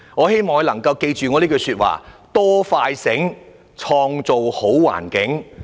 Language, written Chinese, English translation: Cantonese, 希望局長能夠記着這句話："多快醒，創造好環境"。, I urge the Secretary to remember this saying Build a better environment with greater concern faster response and smarter services